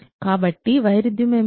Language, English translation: Telugu, So, what is a contradiction